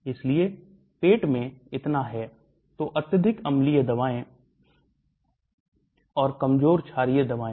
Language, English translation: Hindi, So that is in the stomach, so highly acidic drugs and weakly basic drugs